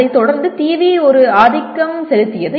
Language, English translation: Tamil, Subsequently TV was a dominant thing